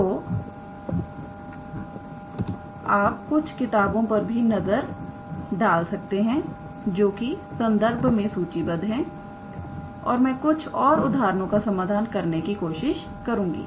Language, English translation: Hindi, So, you may try to look into some books which I have listed in the references and I try to solve some examples